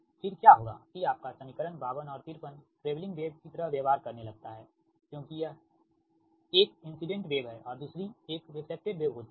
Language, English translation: Hindi, that your that equation fifty two and fifty three, its behave like a travelling wave, right, because one is incident wave and another is reflected one